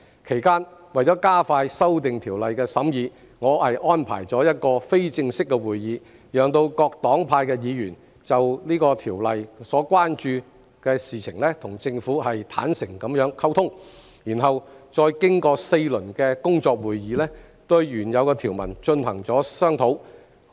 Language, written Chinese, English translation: Cantonese, 其間，為了加快《條例草案》的審議，我安排了一個非正式會議，讓各黨派議員就《條例草案》所關注的事情與政府坦誠溝通，然後再經過4輪工作會議，對原有條文進行商討。, During the period to expedite the scrutiny of the Bill I arranged an informal meeting for Members from various parties to engage in candid exchanges with the Government in respect of their matters of concern about the Bill . After that we held four rounds of working meetings to deliberate on the original clauses